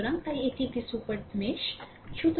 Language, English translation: Bengali, So, so for this is a super mesh I told you